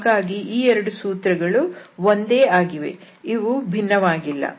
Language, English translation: Kannada, So, these two formulas are same, they are not different